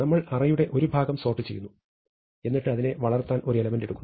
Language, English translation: Malayalam, We sort part of the array, and then we insert an element into that to grow it